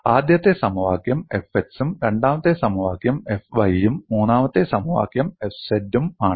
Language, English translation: Malayalam, The first equation it is F x; second equation it is F y and third equation it is F z